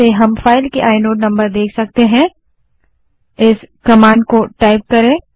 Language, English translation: Hindi, We can use ls space i command to see the inode number of a file